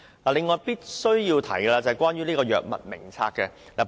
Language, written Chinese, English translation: Cantonese, 此外，我必須談談有關《醫院管理局藥物名冊》的問題。, In addition I must talk about the issue about the Hospital Authority Drug Formulary